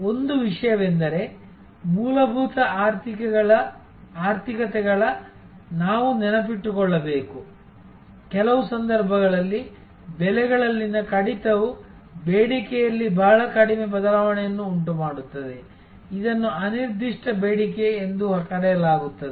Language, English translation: Kannada, One thing, we have to remember from fundamental economies lesson than that in some case, a reduction in prices will actually cause very little change in the demand, this is called the inelastic demand